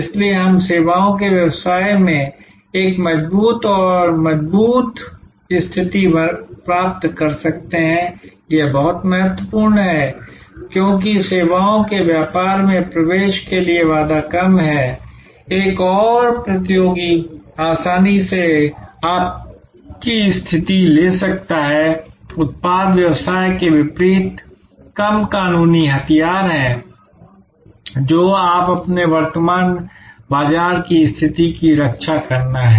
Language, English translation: Hindi, So, that we can acquire a stronger and stronger position in the services business, this is very important, because in services business barrier to entry is low, another competitor can easily take your position, unlike in product business there are fewer legal weapons that you have to protect your current market position